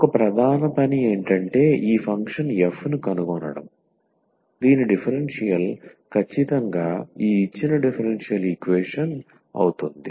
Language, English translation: Telugu, So, one the main job is to find this function f whose differential is exactly this given differential equation